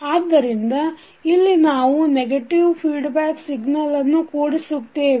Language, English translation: Kannada, So here we have added negative as a feedback signal